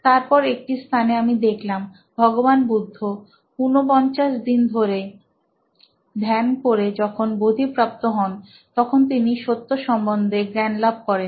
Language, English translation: Bengali, Then, I came to this point where I saw the main teachings of Lord Buddha when he attained his enlightenment after 49 days of meditation